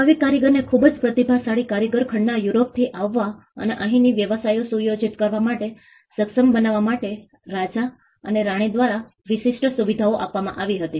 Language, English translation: Gujarati, Now, exclusive privileges were granted by the king or the queen to enable craftsman very talented craftsman to come from continental Europe and to setup the businesses here